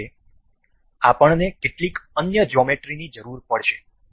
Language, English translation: Gujarati, For this we need some other geometry